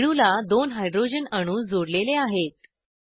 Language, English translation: Marathi, Two hydrogen atoms are added to the molecule